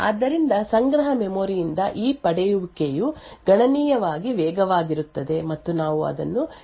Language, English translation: Kannada, So this fetching from the cache memory is considerably faster and we call it a cache hit